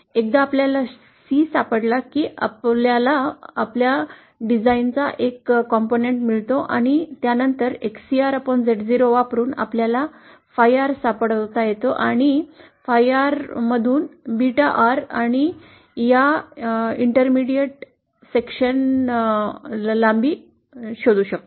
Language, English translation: Marathi, Once we find out C, we get one component of our design and then using the value of XCR upon Z0 we can find out phi R and from phi R we can find out beta R and the length of this intermediate section